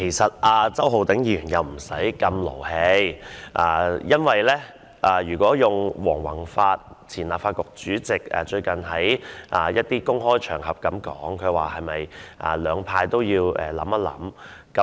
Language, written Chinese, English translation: Cantonese, 希望周浩鼎議員不需要這麼動氣，因為如果套用前立法局主席黃宏發最近在一些公開場合的說法，兩派都要想一想。, I hope Mr Holden CHOW did not need to be so angry because as the former Legislative Council President Mr Andrew WONG said at some public events that both camps should stop and think